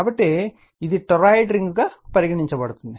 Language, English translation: Telugu, So, it is consider a toroidal ring